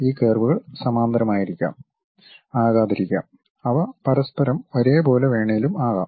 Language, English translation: Malayalam, These curves might be parallel, may not be parallel; they might be offset with each other also